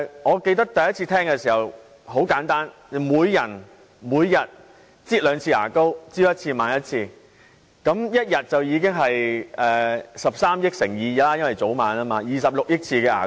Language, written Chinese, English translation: Cantonese, 我記得第一次聽到這種說法時，很簡單，我想到的是每人每天會擠兩次牙膏，早晚各一次，一天便等於13億次乘 2， 即大家會擠26億次的牙膏。, I remember that when I heard of this for the first time I thought of the scenario of everybody squeezing his tube of toothpaste twice a day . If everyone squeezes his tube of toothpaste once in the morning and once at night it will be 1.3 billion times multiplied by 2 . The tubes of toothpaste will be squeezed 2.6 billion times every day